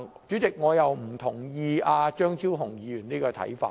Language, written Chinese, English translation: Cantonese, 主席，我並不認同張超雄議員這種看法。, Chairman I do not share Dr Fernando CHEUNGs view